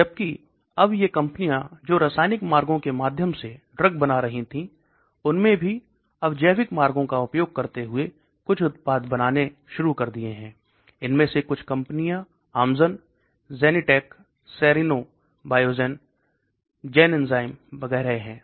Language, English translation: Hindi, Whereas now these companies which were making dugs through chemical routes have also started making some products using biological routes, some of these companies are Amgen, Genentech, Serono, Biogen, Genzyme and so on actually